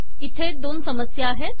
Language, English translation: Marathi, There are two problems with this